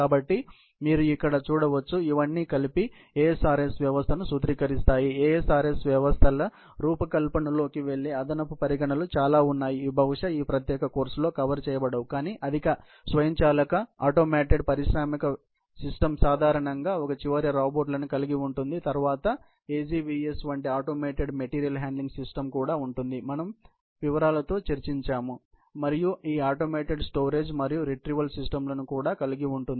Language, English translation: Telugu, There are lot of additional considerations, which go into the design of ASRS systems, which are probably, not going to cover in this particular course, but typically, a highly automated industrial system would typically, have robots at one end and then, there is also a automated material handling system, like AGVS that we discussed in details and also, this automated storage and retrieval systems